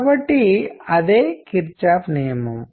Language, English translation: Telugu, So, that is Kirchhoff’s rule